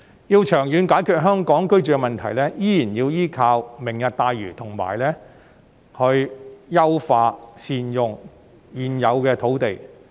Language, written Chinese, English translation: Cantonese, 若要長遠解決香港居住問題，仍然要依靠"明日大嶼"，以及優化和善用現有土地。, To solve the housing problem in Hong Kong in the long run we still have to rely on the Lantau Tomorrow Vision and the optimization and good use of the existing land sites